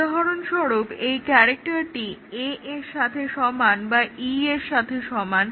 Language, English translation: Bengali, For example, just this example that character is equal to A or character equal to E